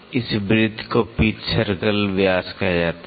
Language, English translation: Hindi, This circle is called pitch circle diameter